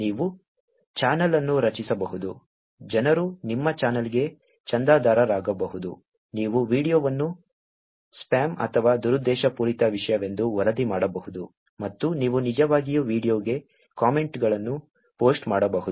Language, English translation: Kannada, You can create a channel, people can subscribe to your channel, you can report a video as spam or malicious content, and you can actually post comments to the video